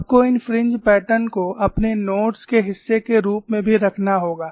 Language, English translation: Hindi, You also need to have these fringe patterns as part of your notes